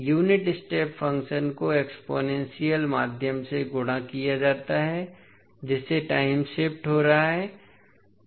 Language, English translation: Hindi, The unit step function multiplied by the exponential means you are getting the time shift